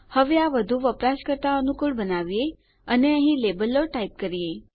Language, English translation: Gujarati, Now lets make it a bit more user friendly and type out labels here